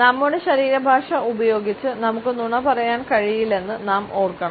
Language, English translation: Malayalam, We have to remember that with our body language we cannot lie